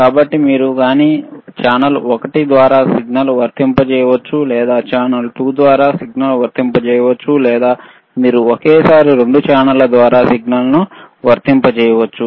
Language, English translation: Telugu, So, either you can apply signal through channel one, or you can apply signal through channel 2, or you can apply signal through both channels simultaneously, right